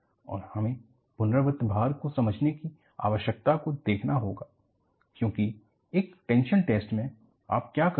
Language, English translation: Hindi, And, we will have to look at the need for understanding repeated loading; because in a tension test, what you do